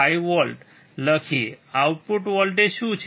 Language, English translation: Gujarati, 5 volts, what is the output voltage